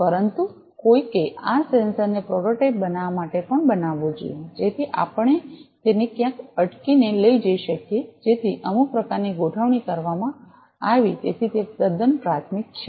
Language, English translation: Gujarati, But somebody should make this sensor also to make a prototype, so that we can take it outside hang it somewhere so some kind of arrangement was made, so that is quite rudimentary